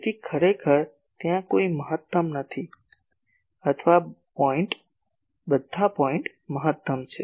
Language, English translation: Gujarati, So, actually there is no maximum or all points are maximum